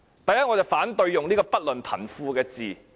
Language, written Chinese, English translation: Cantonese, 首先，我反對使用"不論貧富"這字眼。, First of all I oppose the use of the expression regardless of rich or poor